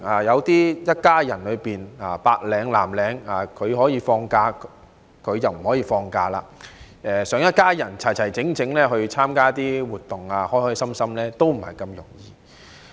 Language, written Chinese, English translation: Cantonese, 一家人中有白領、有藍領，一個可以放假，另一個卻不可以，想一家人齊齊整整、開開心心參加一些活動也不是這麼容易。, For a family having a white - collar worker and a blue - collar worker it will not be easy for all family members to get together and participate happily in some activities because one is entitled to a certain holiday but the other is not